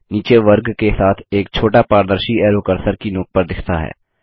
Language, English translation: Hindi, A small transparent arrow with a square beneath appears at the cursor tip